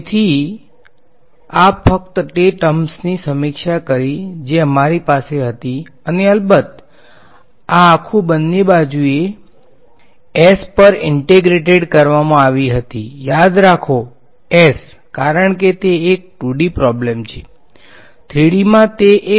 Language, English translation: Gujarati, So, this is just reviewing the terms that we had and of course, this whole thing was integrated both sides were integrated over s remember s because it is a 2D problem